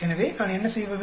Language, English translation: Tamil, So, what I do